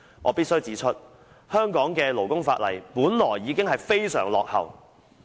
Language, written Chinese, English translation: Cantonese, 我必須指出，香港的勞工法例本來已經非常落後。, I must point out that the labour legislation in Hong Kong is already most outdated